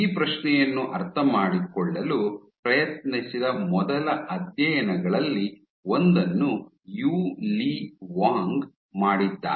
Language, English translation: Kannada, One of the very first studies which was tried attempted to understand this question was done by Yu Li Wang